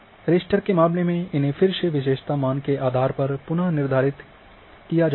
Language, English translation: Hindi, Now, in case of roster again reassigned a based on the attribute value